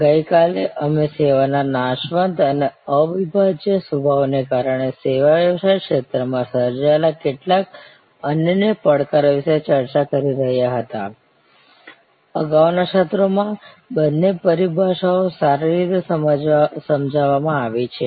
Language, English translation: Gujarati, Yesterday, we were discussing about some unique challenges created in the service business domain due to the perishable nature of service and due to inseparable nature of service, both terminologies have been well explained in the previous sessions